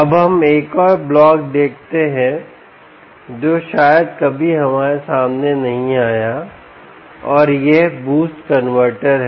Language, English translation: Hindi, now we see another block which perhaps we have never come across, ok, and this is the boost converter